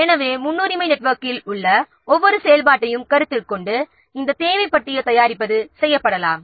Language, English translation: Tamil, So this preparation of resource requirement list can be done by considering each activity present in a precedence network